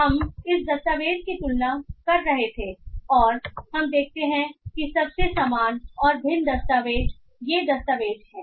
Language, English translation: Hindi, So we were comparing this document and we find that the most similar and dissimilar documents are these documents